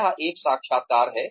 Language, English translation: Hindi, It is an interview